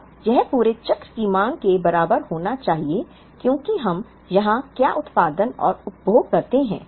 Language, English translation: Hindi, Now, this should be equal to the demand of the entire cycle because with what we produce and consume here